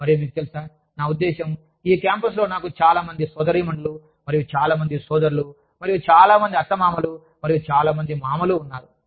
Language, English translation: Telugu, And, you know, i mean, i have so many sisters, and so many brothers, and so many aunts, and so many uncles, on this campus